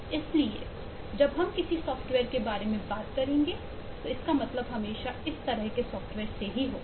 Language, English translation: Hindi, so when we will talk about a software henceforth it will always mean this kind of software